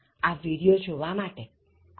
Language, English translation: Gujarati, Thank you so much for watching this video